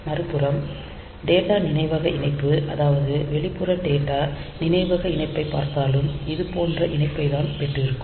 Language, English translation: Tamil, On the other hand if we look into the data memory connection external data memory connection then we have got the connection like this